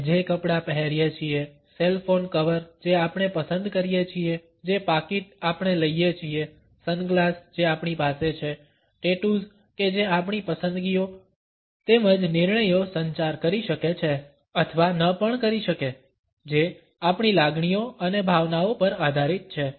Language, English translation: Gujarati, The clothes we wear, the cell phone cover we choose, the wallet which we carry, the sunglasses which we have, the tattoos which we may or may not have communicate our choices as well as decisions which in turn are based on our feelings and emotions